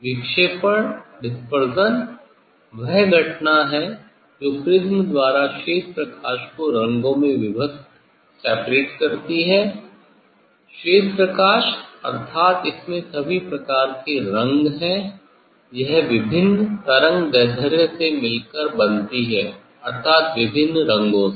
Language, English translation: Hindi, Dispersion is the phenomena which gives the separation of colour in prism say white light; white light means it has all sorts of colour it consists of different many wavelengths means of different colour